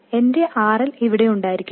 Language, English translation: Malayalam, So, my RL has to be here